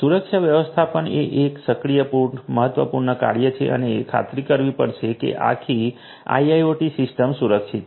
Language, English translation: Gujarati, Security management is an active important function and this has to ensure that the whole system the IIoT system is secured